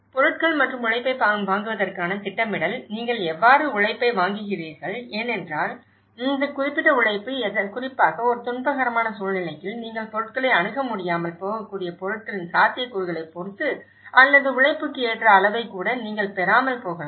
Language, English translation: Tamil, Planning for the procurement of materials and labour; how do you procure labour because this particular labour in especially, in a distressed conditions, you may not be able to access the materials as well depending on the feasibilities of the available materials or you may not even get the labour appropriate level